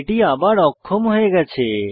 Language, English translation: Bengali, It is enabled again